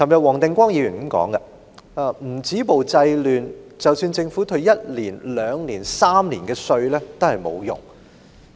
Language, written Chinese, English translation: Cantonese, 黃定光議員昨天說：如果不止暴制亂，即使政府一年或連續兩年、三年退稅也沒有用。, Mr WONG Ting - kwong said yesterday that when violence could not be stopped and disorder could not be curbed it would be pointless for the Government to rebate tax for one two or even three years consecutively